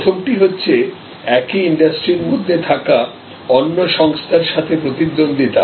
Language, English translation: Bengali, So, the first one is rivalry among players within an industry